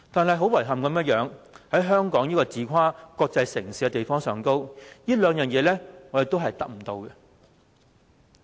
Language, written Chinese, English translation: Cantonese, 令人遺憾的是，在香港這個自誇為"國際城市"的地方，這兩樣也是"打工仔"得不到的。, Regrettably in Hong Kong which claimed to be a cosmopolitan city workers are satisfied with none of these two aspects